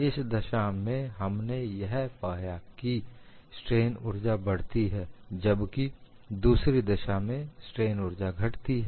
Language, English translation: Hindi, In one case, we found strain energy increased, in another case, strain energy decreased